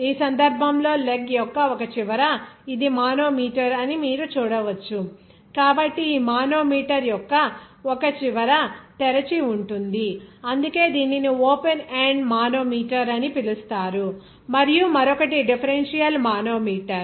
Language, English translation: Telugu, In this case, the one end of the leg, that is you can see this is manometer, so one end of this manometer will be open; that is why it is called an open end manometer and another is differential manometer